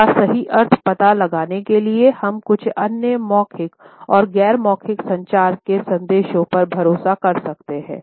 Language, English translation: Hindi, In order to find out the exact meaning we have to rely on certain other messages by verbal as well as non verbal communication